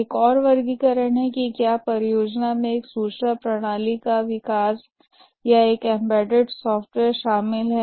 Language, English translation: Hindi, There is another classification that whether the project involves development of an information system or an embedded software